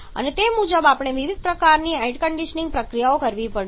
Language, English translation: Gujarati, These are different kind of air conditioning processes